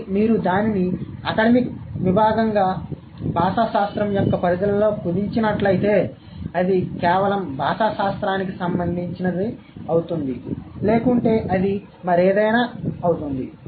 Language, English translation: Telugu, But if you narrow it down in the purview of linguistics as an academic discipline, it is going to be related to only linguistics